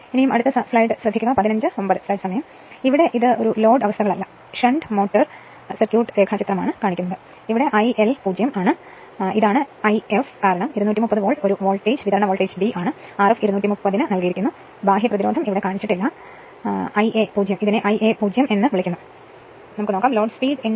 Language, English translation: Malayalam, So, this is the no load conditions this is shunt motor circuit diagram, this is I L 0, this is your what you call I f, because 230 volt being a voltage supply voltage is V, R f is given to 230 ohm no external resistance shown here, I a 0 your what you call your this is the I a 0, r a is given 0